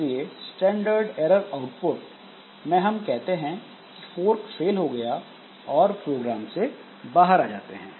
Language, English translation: Hindi, So, if we have on the standard error output, so we say fork failed and we come out of the program